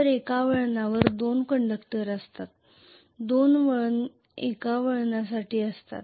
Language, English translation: Marathi, So one turn consist of two conductors, two conductors make up for one turn